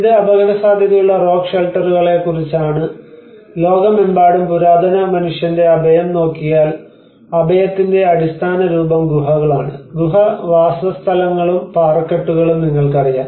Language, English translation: Malayalam, \ \ So, this is about rock shelters at risk; and in the whole world if we look at the ancient man's shelter, the very basic form of shelter is the caves, you know the cave dwellings and the rock shelters